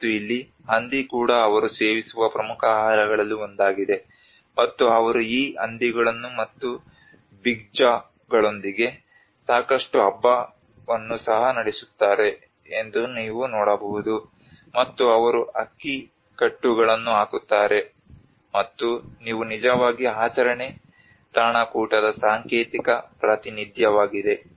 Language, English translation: Kannada, And here even the pig is also one of the important food which they consume, and you can see that they also conduct lot of feast of with these pigs and also big jaws and you know they put the rice bundles and which are actually a symbolic representation of the ritual feasting